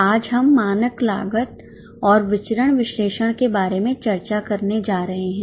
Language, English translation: Hindi, Today we are going to discuss about standard costing and variance analysis